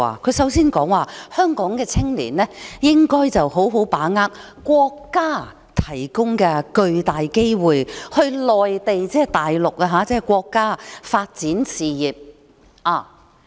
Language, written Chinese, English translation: Cantonese, 她首先說，香港的青年應該好好把握國家提供的巨大機會，到內地發展事業。, She said that young people in Hong Kong should seize the great opportunity provided by the country and develop their career in the Mainland